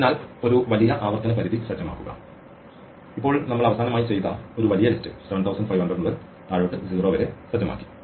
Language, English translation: Malayalam, So, set a large recursion limit and now we set up a fairly large list we had done last for an instance 7500 down to 0 right